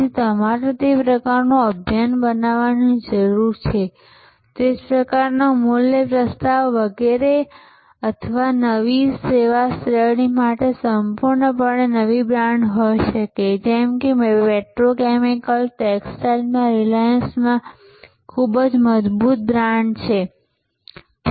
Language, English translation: Gujarati, So, you need to create that sort of campaign that sort of value proposition etc or there can be a completely new brand for a new service category like reliance is very strong brand in petrochemicals are textiles and so on